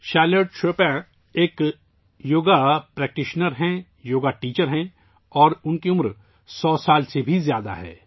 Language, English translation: Urdu, Charlotte Chopin is a Yoga Practitioner, Yoga Teacher, and she is more than a 100 years old